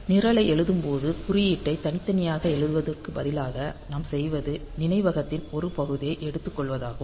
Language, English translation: Tamil, So, while writing the program; so, instead of writing the code separately what we do is that we take a portion of memory